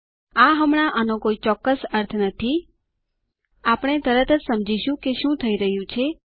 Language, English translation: Gujarati, While this may not make absolute sense right now, we will soon understand whats happening